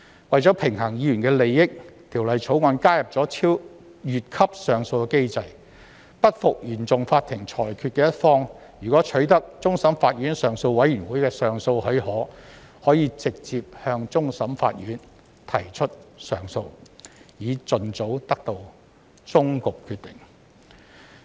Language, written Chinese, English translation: Cantonese, 為平衡議員的利益，《條例草案》加入"越級上訴機制"，不服原訟法庭裁決的一方，如取得終審法院上訴委員會的上訴許可，可直接向終審法院提出上訴，以盡早得到終局決定。, The Bill also adds a leap - frog appeal mechanism to balance the interests of Members . A party who is not satisfied with a decision made by CFI may lodge an appeal to the Court of Final Appeal CFA direct subject to the granting of leave by the Appeal Committee of CFA thereby ensuring the final decision of the legal proceedings can be attained as soon as possible